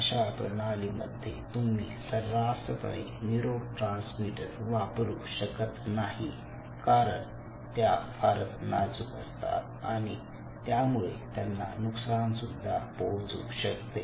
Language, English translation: Marathi, so in such systems you cannot rampantly use any kind of neurotransmitters so easily, because they are so fragile they are